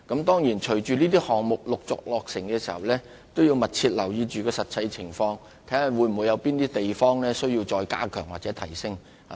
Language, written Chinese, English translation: Cantonese, 當然，隨着這些項目陸續落成，政府亦會密切留意實際情況，並審視有哪些地方需再加強或提升。, Of course with the gradual completion of these projects the Government will keep a close watch on the actual situation and examine whether any strengthening or upgrading measures will be necessary